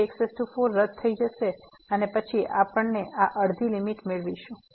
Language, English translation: Gujarati, So, 4 get cancel and then we get this limit half